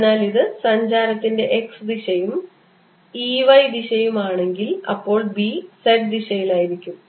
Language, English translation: Malayalam, so if this is a direction of propagation x, and if e happens to be in the y direction, then b would be in the z direction